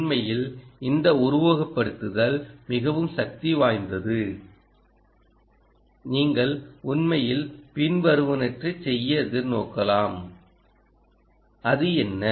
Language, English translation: Tamil, ok, in fact, this simulation is so powerful that you can actually look forward to do the following